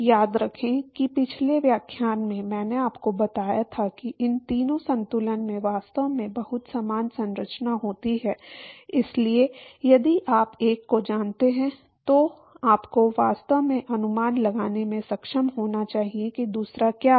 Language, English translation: Hindi, Remember in last lecture I told you that these three balances they actually have very similar structure, so if you know one you should actually be able to guess what the other one is